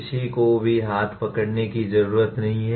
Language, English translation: Hindi, Nobody need to hold out hand